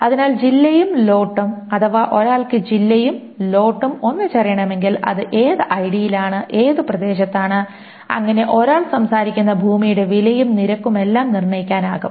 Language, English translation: Malayalam, So district and lot, if one knows the district and lot together, it can determine which ID it is in, which area it is in and the price and rate of the plot of land that one talks about